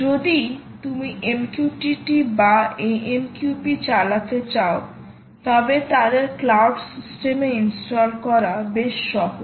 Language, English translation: Bengali, if you wish to run mqtt or amqp, its quite easy to install them on cloud system